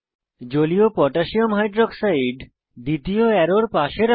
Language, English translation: Bengali, Position Aqueous Potassium Hydroxide (Aq.KOH) close to second arrow